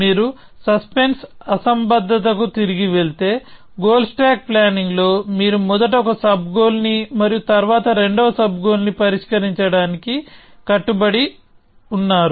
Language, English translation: Telugu, So, if you go back to suspense anomaly, in goal stack planning, you are committing to solving one sub goal first and then the second sub goal